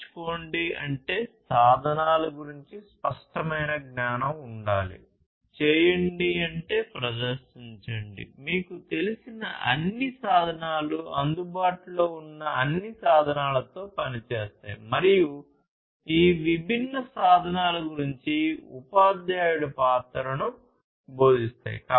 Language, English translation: Telugu, Learn means having clear knowledge about the tools; do means perform, all the tools you know act with all the tools that are available, and teach move into the role of a teacher to teach about these different tools